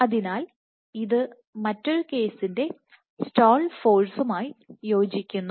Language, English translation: Malayalam, So, this corresponds to the stall force for another case